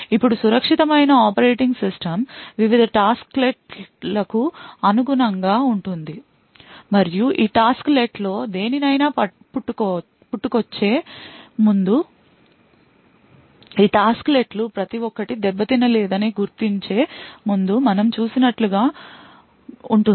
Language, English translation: Telugu, Now the secure operating system would correspond various tasklets and before spawning any of this tasklet is would as we seen before identify that each of this tasklet have not being tampered with